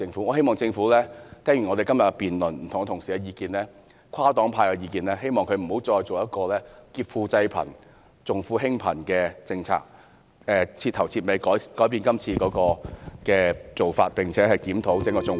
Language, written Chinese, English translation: Cantonese, 我希望政府聽罷今天的辯論，聽了不同同事的意見和跨黨派的意見後，不會再推行這項劫貧濟富，重富輕貧的政策，徹底改變今次的做法，並且檢討整個綜援......, I hope that after listening to the views of various colleagues and the common opinions of different political parties and groupings the Government will not implement this policy which is depriving the poor for the benefit of the rich and attending to the rich but neglecting the poor